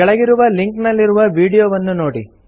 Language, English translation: Kannada, Watch the video available the following link